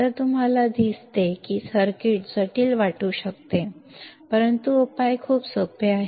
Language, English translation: Marathi, So, you see the circuit may look complex, but the solution is very easy